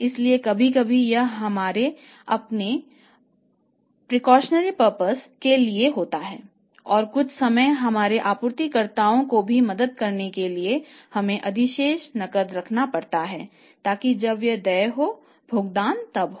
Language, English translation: Hindi, So, sometime it is for our own precautionary purpose and some time to help our suppliers also we have to keep the surplus cash so that the payment can be made as and when it is due and then the speculative purpose